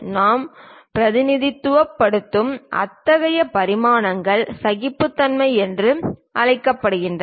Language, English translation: Tamil, Such kind of dimensions what you represent are called tolerances